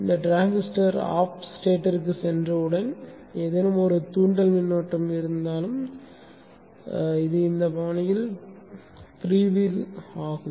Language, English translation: Tamil, Once this transitor goes to off state, even if there is any inductive current, this will free will be in this fashion